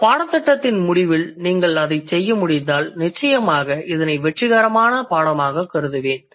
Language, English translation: Tamil, So, if you are able to do that by the end of this course, then I would consider the course to be a successful one